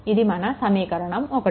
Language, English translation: Telugu, This is equation 2